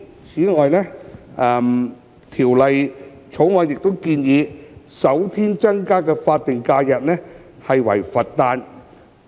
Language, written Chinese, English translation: Cantonese, 此外，《條例草案》建議首先新增的法定假日為佛誕。, Furthermore it was proposed in the Bill that the first additional SH would be the Birthday of the Buddha